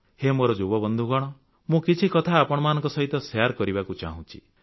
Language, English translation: Odia, Young friends, I want to have a chat with you too